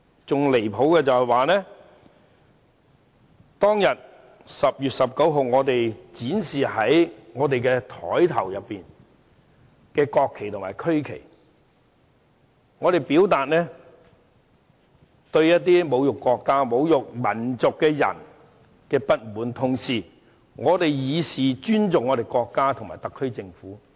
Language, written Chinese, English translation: Cantonese, 更離譜的是，在10月19日當天，我們於桌上展示國旗和區旗，是為了向侮辱國家和民族的人表達不滿，同時以示尊重國家和特區政府。, There is yet another really ridiculous point . On 19 October we displayed the national flags and regional flags on our desk to express our dissatisfaction with those people who had insulted the country and the nation and to show respect to our country and the SAR Government